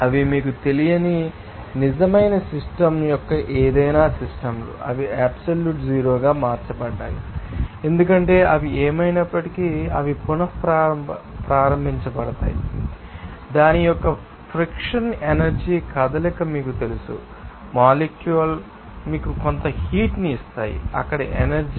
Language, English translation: Telugu, They are because of that any systems of real system you can say that that may not you know, have extemporary converted into absolute zero because they are anyway they are restarted you know that you know frictional energy movement of that are molecules will give you certain heat energy there